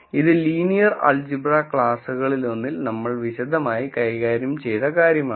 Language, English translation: Malayalam, So, this is something that we have dealt with in detail, in one of the linear algebraic classes